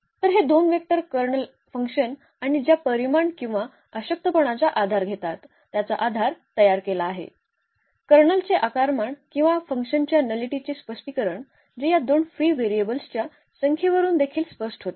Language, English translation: Marathi, So, these two vectors form the basis of the of the Kernel F and the dimension or the nullity which we call is already there the dimension of the Kernel or the nullity of this F which was clear also from the number of these free variables which are 2 here